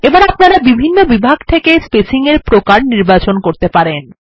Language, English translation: Bengali, Again we can choose spacing types from the various categories